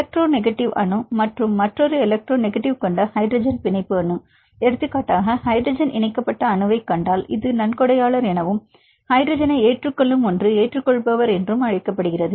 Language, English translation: Tamil, For the hydrogen bond atom with electronegative atom plus another electronegative atom; for example, if you see the atom which attached with the hydrogen this is called donor and the one which accepts this hydrogen; this is the acceptor